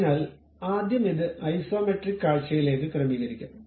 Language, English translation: Malayalam, So, let us first arrange it to Isometric view